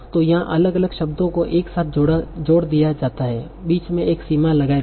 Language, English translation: Hindi, So here different words are combined together without putting a boundary in between